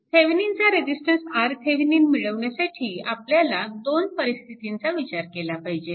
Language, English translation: Marathi, So, for finding your Thevenin resistance R Thevenin, we need to consider 2 cases